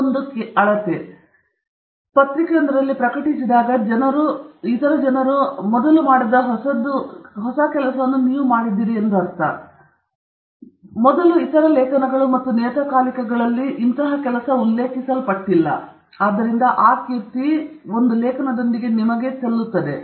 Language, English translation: Kannada, It’s just one measure, but that is a measure and when you publish in a journal, it means that you have done something new, which other people have not done before, which certainly other articles and journals have not mentioned before, and therefore, you are now credited with it